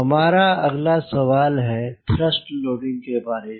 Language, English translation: Hindi, our next question was on the thrust loading